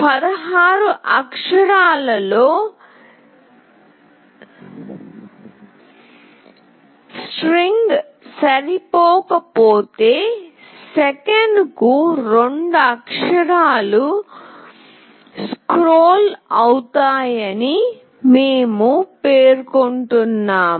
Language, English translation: Telugu, We are specifying that 2 characters will be scrolled per second if the string does not fit in 16 characters